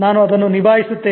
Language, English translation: Kannada, I'll handle this